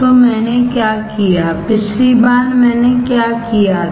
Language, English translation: Hindi, So, what what did I perform, last time what did I do